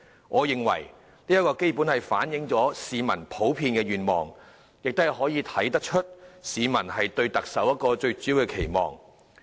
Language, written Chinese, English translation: Cantonese, 我認為這基本反映了市民的普遍願望，亦可從中看到市民對特首的最主要期望。, The rate here is 29 % . I think these figures can basically reflect peoples general aspirations . And they can also let us see peoples main expectations for the Chief Executive